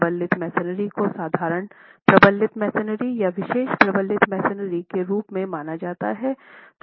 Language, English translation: Hindi, Reinforce masonry treated as ordinary reinforced masonry or special reinforced masonry